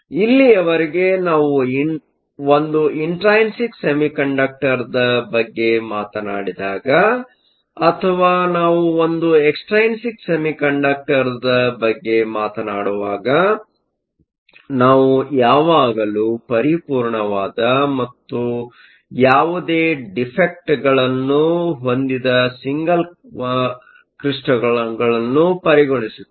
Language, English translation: Kannada, So far, when we have talked about an intrinsic semiconductor or when we talked about an extrinsic semiconductor, we always consider materials that are single crystals which are perfect and have no defects